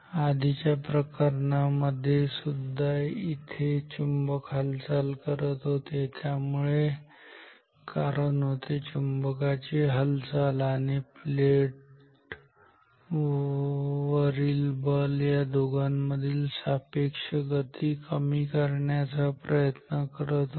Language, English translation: Marathi, In the previous case also here the magnet was moving, so the cause was the motion of the magnet and the force on the plate was trying to minimize the relative motion between these two ok